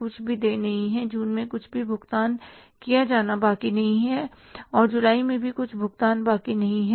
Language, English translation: Hindi, Nothing is left to be paid in June